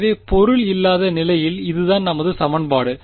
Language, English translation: Tamil, So, this is our equation in the absence of object